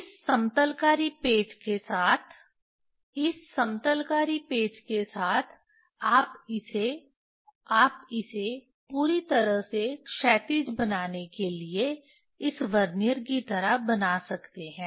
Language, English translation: Hindi, With this leveling screw, with this leveling screw, you can you can you can make it like this Vernier to make it perfectly horizontal